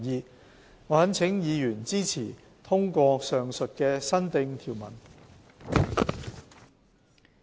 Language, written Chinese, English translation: Cantonese, 我懇請委員支持通過上述的新訂條文。, I implore Members to support the passage of these new clauses